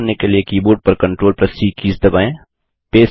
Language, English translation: Hindi, On the keyboard, press the CTRL+C keys to copy